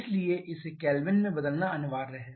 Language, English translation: Hindi, So, it is mandatory to convert it to Kelvin